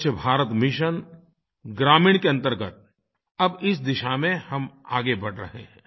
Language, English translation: Hindi, Under the Swachch Bharat Mission Rural, we are taking rapid strides in this direction